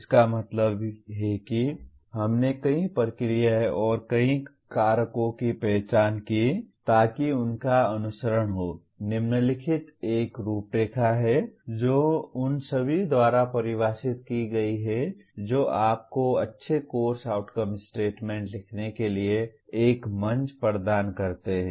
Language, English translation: Hindi, That means we gave several procedures and several factors identified so that following that; following are a framework that is defined by all of them that provides you a platform for writing good course outcome statements